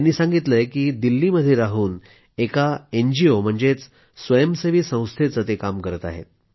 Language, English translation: Marathi, He says, he stays in Delhi, working for an NGO